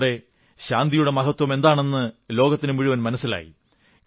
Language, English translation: Malayalam, This made the whole world realize and understand the importance of peace